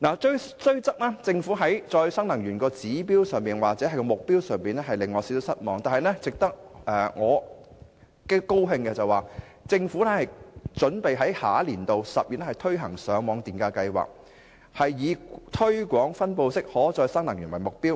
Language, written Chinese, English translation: Cantonese, 雖然政府在再生能源的指標或目標上令我有點失望，但值得高興的是，政府準備在下年度10月推行上網電價計劃，以推廣分布式可再生能源為目標。, Although the Government has rather disappointed me for setting such a target or objective on renewable energy I am glad that the Government is preparing to introduce a feed - in traffic scheme next October targeting to promote distributed renewable energy